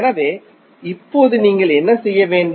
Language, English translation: Tamil, So, now what you have to do